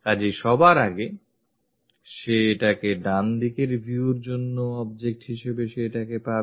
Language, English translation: Bengali, So, first of all, he will get this one as the object for the right side view